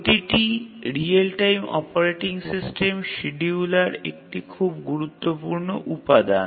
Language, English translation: Bengali, So, every real time operating system, the scheduler is a very important component